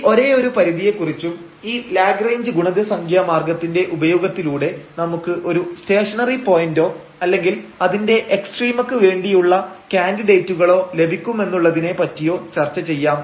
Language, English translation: Malayalam, So, anyway let us discuss for this one very one constraint and the remark here that using this method of Lagrange multiplier, we will obtain the stationary point or rather we call the candidates for the extrema